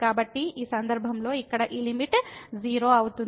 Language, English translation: Telugu, So, in this case this limit here is 0